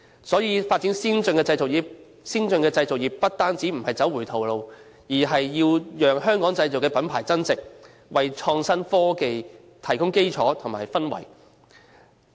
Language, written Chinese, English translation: Cantonese, 所以，發展先進的製造業不但不是走回頭路，而且更是要讓"香港製造"的品牌增值，為創新科技提供基礎和氛圍。, For that reason the development of advanced manufacturing industries is not backtracking . Rather it will add value to the made in Hong Kong brand name and provide the foundation and atmosphere for innovative technologies